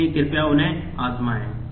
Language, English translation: Hindi, So, please try them out